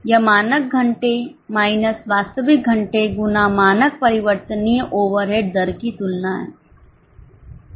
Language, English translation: Hindi, So, it's a comparison of standard hours minus actual hours into standard variable overhead rates